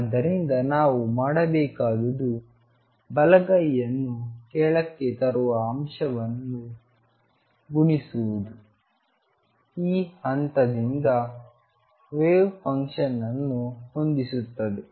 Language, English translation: Kannada, So, what we need to do is multiply the right hand side to the factor that brings it down makes the wave function match at this point